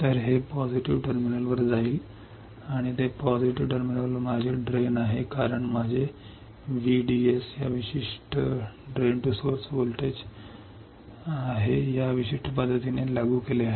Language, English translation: Marathi, So, it will go to a positive terminal and that positive terminal is my drain because my VDS is applied in this particular fashion